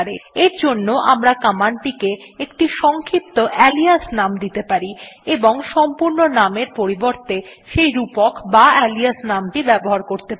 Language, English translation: Bengali, In this case we can give it a short alias name and use the alias name instead ,to invoke it